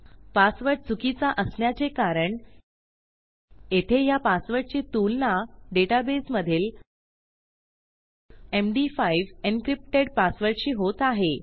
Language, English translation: Marathi, Now, the reason my password is wrong is that my plain text password here is being compared to my md5 encrypted password inside my data base